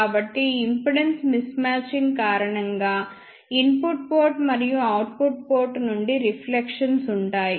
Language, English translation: Telugu, So, because of this impedance mismatching there will be reflections from the input port and output port